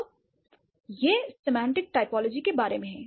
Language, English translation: Hindi, So, that's about semantic typology